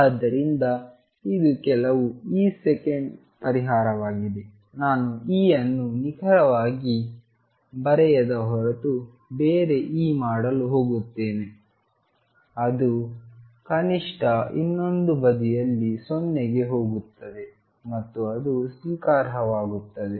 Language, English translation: Kannada, So, this is some e second solution go to do like this some other e unless I have exactly write E that at least goes to 0 on the other side and that is acceptable